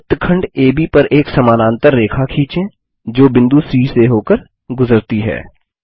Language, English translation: Hindi, Lets now construct a parallel line to segment AB which passes through point C